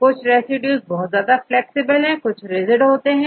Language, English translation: Hindi, Some residues are highly flexible, some residues are rigid